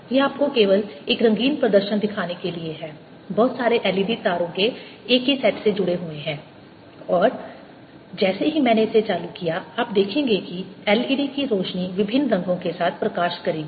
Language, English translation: Hindi, this is just to show you a colorful ah you know demonstration: lot of l e d's connected to the same set of wires and as soon as i turned it on, you will see that the l e d's will light up with different colors